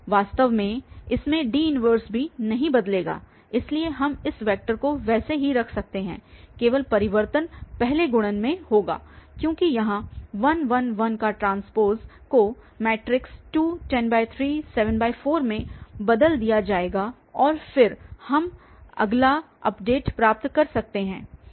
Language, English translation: Hindi, Indeed in this D inverse b there will be no change, so this vector we can keep as it is, the only change would be in the first multiplication, because this 1, 1, 1 will be replaced by 2, 10 by 3 and 7 by 4 and then we can get the next update